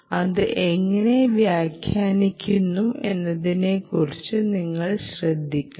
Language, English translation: Malayalam, ah, you should be careful about how you interpret this